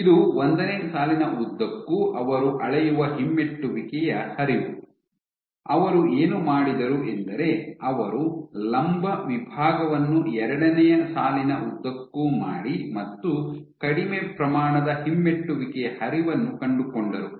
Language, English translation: Kannada, This is the retrograde flow that they measured along line 1, what they also did was they did the perpendicular section which is along line 2 and along line 2, they found less amount of retrograde flow